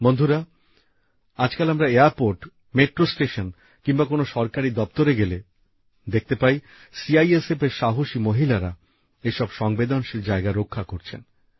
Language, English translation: Bengali, Friends, today when we go to airports, metro stations or see government offices, brave women of CISF are seen guarding every sensitive place